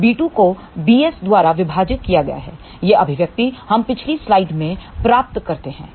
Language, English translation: Hindi, So, b 2 divided by b s that expression we have derived in the previous slide